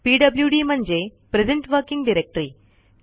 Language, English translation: Marathi, It is pwd that stands for present working directory